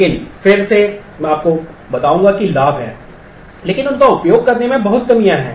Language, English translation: Hindi, But again I would tell you that there are benefits, but there are lot of drawbacks in using them